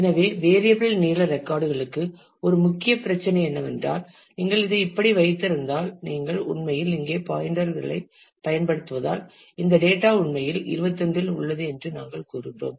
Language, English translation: Tamil, So, for variable length records a one main issue is if you if you keep it like this, then since you are using actually you are using pointers here we saying that this data actually is on 21